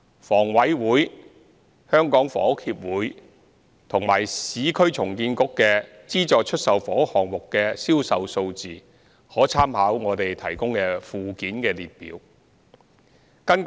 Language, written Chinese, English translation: Cantonese, 房委會、香港房屋協會及市區重建局的資助出售房屋項目的銷售數字可參考附件的列表。, Sales statistics on SSFs of HA the Hong Kong Housing Society HKHS and the Urban Renewal Authority URA are summarized at Annex